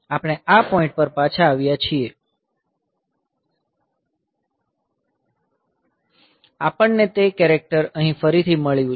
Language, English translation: Gujarati, So, we have we have come back to this point; so we have got that character again here